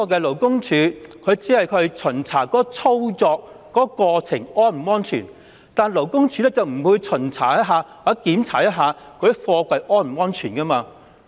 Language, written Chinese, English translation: Cantonese, 勞工處只會巡查作業過程是否安全，而不會檢查貨櫃是否安全。, LDs inspection focuses on operational safety rather than the safety of containers